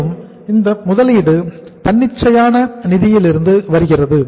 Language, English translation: Tamil, And this investment is coming from the spontaneous finance